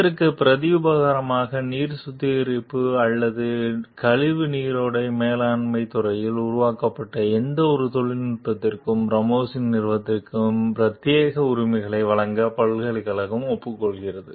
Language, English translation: Tamil, In return, the university agrees to give Ramos s company the exclusive rights to any technology developed in the field of water treatment or waste stream management